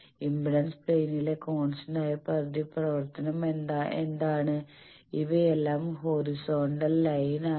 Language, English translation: Malayalam, What is a constant reactance in the impedance plane, these are all horizontal lines